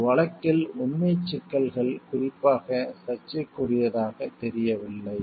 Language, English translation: Tamil, In this case, the factual issues do not appear particularly controversial